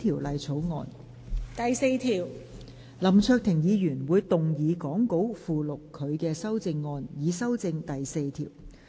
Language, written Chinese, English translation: Cantonese, 林卓廷議員會動議講稿附錄他的修正案，以修正第4條。, Mr LAM Cheuk - ting will move his amendment to amend clause 4 as set out in the Appendix to the Script